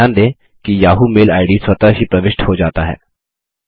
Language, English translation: Hindi, Notice that the yahoo mail id is automatically filled